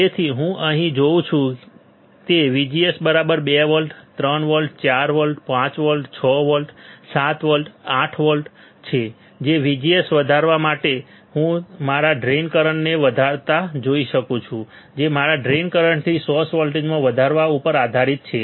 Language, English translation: Gujarati, So, what I see here right VGS equals to 2 volts, 3 volts, 4 volts, 5 volts, 6 volts, 7 volt, 8 volt for increasing VGS I can see increasing my in my drain current depending on increasing of my drain to source voltage this is the graph this is the graph right